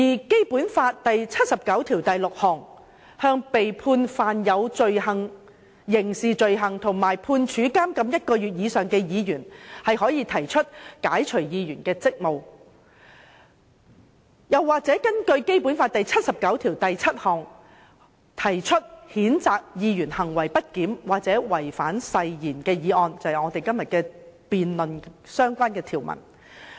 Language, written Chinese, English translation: Cantonese, 《基本法》第七十九條第六項規定，立法會議員如被判犯有刑事罪行及判處監禁一個月以上，可被解除議員職務。又或者根據《基本法》第七十九條第七項，對行為不檢或違反誓言的議員提出譴責議案，即我們今天辯論的相關條文。, Under Article 796 of the Basic Law a Member may be relieved of his duties as a Member of the Legislative Council when he is convicted and sentenced to imprisonment for one month or more for a criminal offence or when he is censured for misbehaviour or breach of oath according to Article 797 which is the article under discussion today